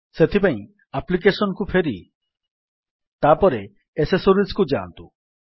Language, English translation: Odia, For that go back to Applications and then go to Accessories